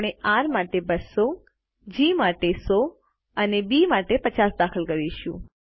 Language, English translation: Gujarati, We will enter 200 for R, 100 for G and 50 for B